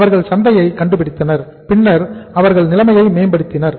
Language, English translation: Tamil, They found the market and then they improved the situation